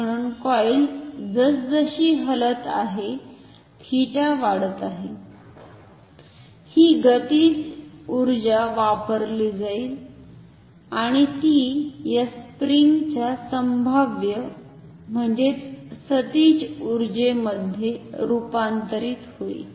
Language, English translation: Marathi, So, as the coil is moving, as the theta is increasing, this kinetic energy will be used and that will get converted into the potential energy of this spring